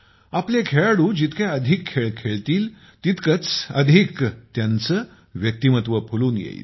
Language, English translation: Marathi, The more our sportspersons play, the more they'll bloom